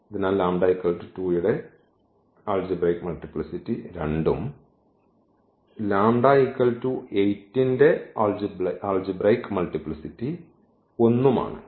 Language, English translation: Malayalam, So, that I the algebraic multiplicity of this 2 is 2 and the algebraic multiplicity of 8 because this is repeated only once